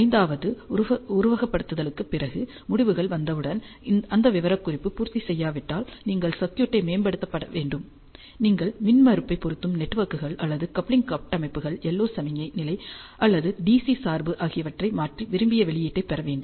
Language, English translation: Tamil, And the fifth one is if you do not need those specifications after simulation results are out, then you have to optimize the circuit, you have to tune the impedance matching networks or the coupling structures the yellow signal level or the DC biasing to get the desired output